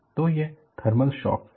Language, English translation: Hindi, So, that is a thermal shock